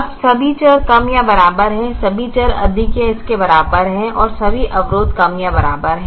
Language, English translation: Hindi, now all the variables are less than or equal to, all the variables are greater than or equal to, and all the constraints are less than or equal to